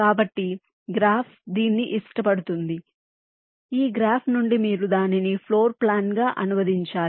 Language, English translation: Telugu, then, from this graph, you will have to translate it into a floor plan